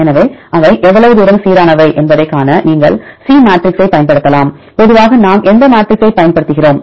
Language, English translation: Tamil, So, you can use c matrix to see how far they are consistent, how far they are aligned right which matrix usually we use